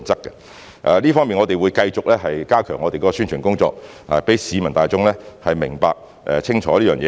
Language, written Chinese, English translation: Cantonese, 就這方面，我們會繼續加強宣傳工作，讓市民大眾明白、清楚這件事。, In this connection we will continue to step up our publicity efforts in order that members of the public will understand and be clear about this matter